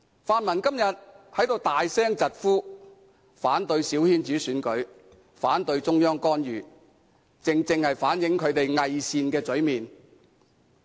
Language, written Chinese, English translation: Cantonese, 泛民今天在此大聲疾呼，反對小圈子選舉，反對中央干預，正正反映出其偽善的嘴臉。, Today the pan - democrats are opposing loudly small - circle election and intervention by the Central Authorities . This precisely reflects that they are hypocritical